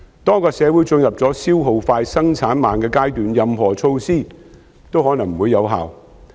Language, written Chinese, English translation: Cantonese, 當一個社會進入消耗快、生產慢的階段，任何措施也可能不會有效。, When a society has entered a stage where consumption is fast and production is slow no measure is likely to be effective